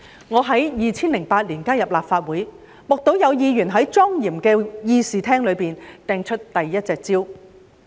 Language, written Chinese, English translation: Cantonese, 我在2008年加入立法會，目睹有議員在莊嚴的議事廳內擲出第一隻香蕉。, I joined the Legislative Council in 2008 and I witnessed the hurling of the first banana in the solemn Chamber